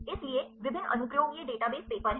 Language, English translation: Hindi, So, the various application these are the database papers